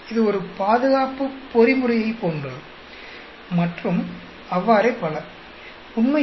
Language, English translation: Tamil, That is more like a defense mechanism and so on actually